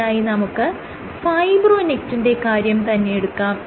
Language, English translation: Malayalam, Let us take the case of fibronectin